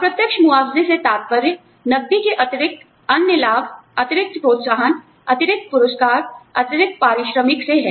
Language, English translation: Hindi, Indirect compensation refers to, the other benefits, additional incentives, additional rewards, additional remuneration, in addition to cash